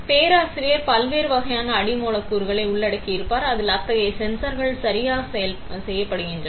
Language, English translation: Tamil, So, professor would have covered different types of substrates on which such sensors are made right